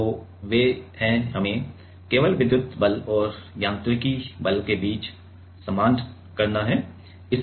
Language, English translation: Hindi, So, they are we have to just equate between the electric force and mechanical force